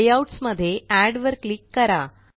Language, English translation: Marathi, In Layouts, click Add